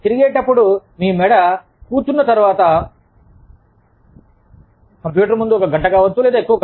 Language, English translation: Telugu, Just rotating, your neck, after sitting, in front of the computer, for an hour, or so